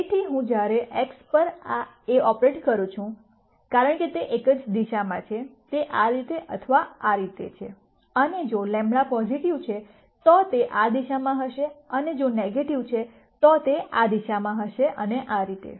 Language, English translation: Gujarati, So, when I operate A on x, since its in the same direction, its either this way or this way and if lambda is positive, it will be in this direction and if lambda is negative, it will be in this direction and so on